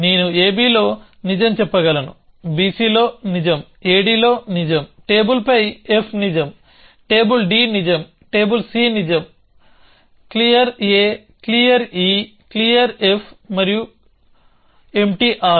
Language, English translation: Telugu, So, I can say on ab is true, on b c is true, on a d is true, on table f is true, on table d is true, on table c is true, clear a, clear e, clear f and arm empty